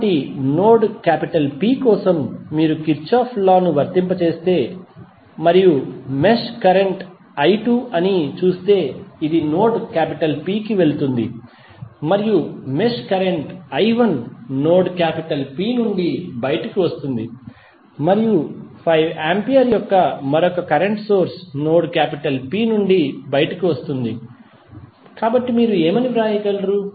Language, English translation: Telugu, So, for node P if you apply Kirchhoff Current Law and if you see the mesh current is i 2 which is going in to node P and the mesh current i 2 is coming out of node P and another current source of 5 ampere is coming out of node P, so what you can write